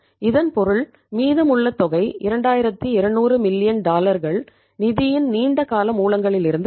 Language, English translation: Tamil, It means the remaining amount that is to the tune of 2200 million dollars will come from the long term sources of the funds